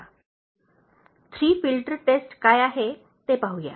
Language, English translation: Marathi, Let us look at what is that Three Filters Test